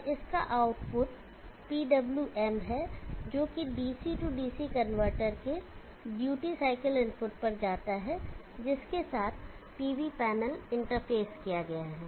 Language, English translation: Hindi, And the output of this is nothing but the PWM which goes to the duty cycle input of the DC DC converter to which the PV panel has been interfaced with